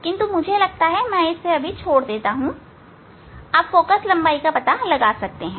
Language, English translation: Hindi, now, using this formula we can hand out the focal length